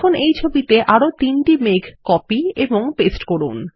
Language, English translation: Bengali, Now, lets copy and paste three more clouds to this picture